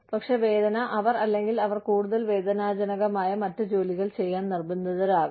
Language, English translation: Malayalam, But, the pain is, they are, they may be potentially forced to do, other more painful work